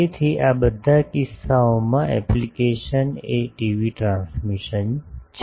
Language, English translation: Gujarati, So, in all these cases the application is TV transmission